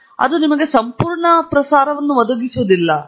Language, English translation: Kannada, The first is that it does not provide you complete coverage